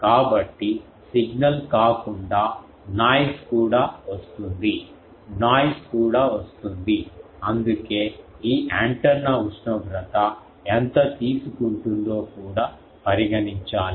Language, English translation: Telugu, So, noise also comes apart from signal, noise also comes, that is why it also should have that how much it can take this antenna temperature